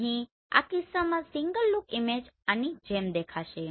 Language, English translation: Gujarati, Here in this case the single look image will look like this